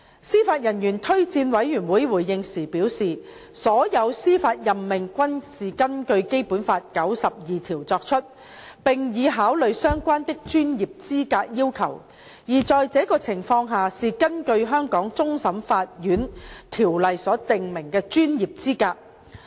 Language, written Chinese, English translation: Cantonese, 司法人員推薦委員會回應時表示，所有司法任命均是根據《基本法》第九十二條作出，並已考慮相關的專業資格要求，而在這種情況下是根據《香港終審法院條例》所訂明的專業資格。, JORC responded that all judicial appointments are made in accordance with Article 92 of the Basic Law and have given consideration to the relevant professional qualification requirements while in this case the appointment is made in accordance with the professional qualification stipulated under the Hong Kong Court of Final Appeal Ordinance